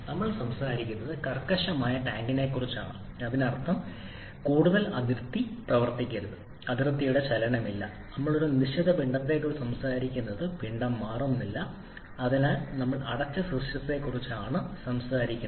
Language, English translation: Malayalam, Now what kind of system we are talking about we are talking about the rigid tank that means no more boundary work no movement of the boundary and we are talking about a fixed mass, mass is not changing so were talking about the closed system